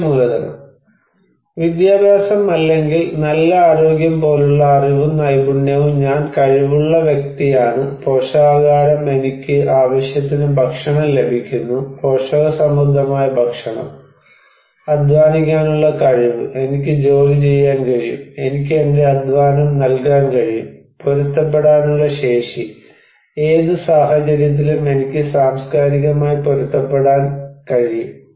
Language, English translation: Malayalam, And human capital; knowledge and skill like education or good health I am capable person, nutrition I am getting enough food, nutritious food, ability to labor I can work, I can give my labor, capacity to adapt, in any situation, I can adapt culturally